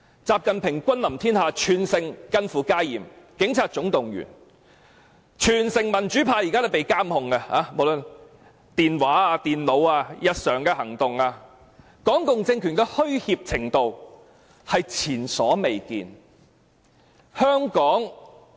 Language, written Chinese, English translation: Cantonese, 習近平君臨天下，全城近乎戒嚴，警察總動員，民主派被監控，無論電話、電腦、日常行動都被監控，港共政權的虛怯程度是前所未見的。, XI Jinping is visiting Hong Kong like an emperor and almost all places in the city are heavily guarded . All policemen are mobilized and the democrats are placed under surveillance with phone calls computers and daily activities being monitored . The cowardly reactions of the Hong Kong communist regime are unprecedented